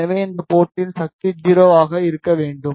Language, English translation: Tamil, So, ideally the power at this port should be 0